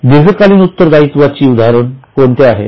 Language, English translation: Marathi, So, what are the examples of long term